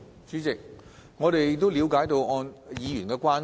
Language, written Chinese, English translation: Cantonese, 主席，我們了解議員的關注。, President we understand the Members concern